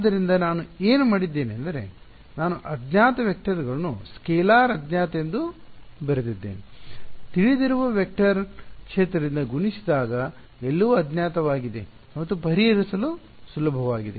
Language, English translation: Kannada, So, what I have done is unknown vectors I have written as scalar unknown multiplied by a known vector field that is easier to solve that everything being unknown right